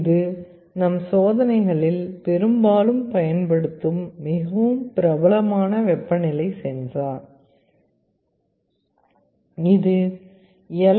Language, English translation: Tamil, This is a very popular temperature sensor that many of us use in our experiments; this is called LM35